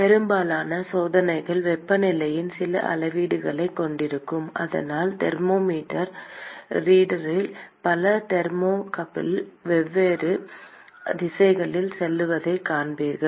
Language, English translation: Tamil, Most of the experiments will have some measurement of temperature; and so,you will see lots of thermocouples going in different directions into the thermometer reader